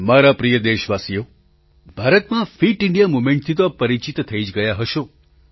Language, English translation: Gujarati, My dear countrymen, by now you must be familiar with the Fit India Movement